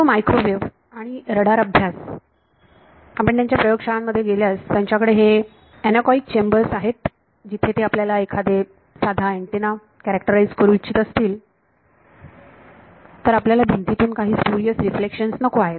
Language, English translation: Marathi, All microwave and radar studies if you go to their labs they have these anechoic chambers where they if you want to characterize a antenna you do not want some spurious reflection from the wall